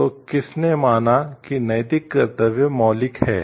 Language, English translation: Hindi, So, who for him held that the moral duties are fundamental